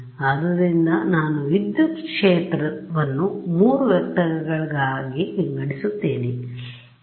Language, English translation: Kannada, So, I have defined I have decomposed the electric field into 3 vectors E s x E s y E s z huh